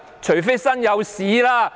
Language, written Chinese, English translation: Cantonese, 除非'身有屎'。, Unless they have something to hide